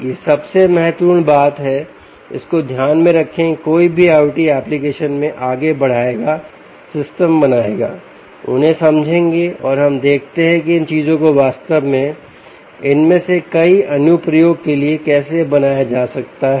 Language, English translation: Hindi, keep this in mind in in any i o t, in any i o t application will move on, will build systems, will understand them and let us see how these things actually can be built for several of these applications